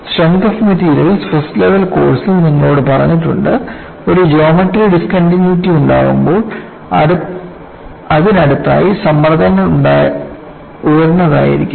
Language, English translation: Malayalam, You have been told in a first level course in strength of materials, when there is a geometric discontinuity, in the vicinity of that, stresses would be high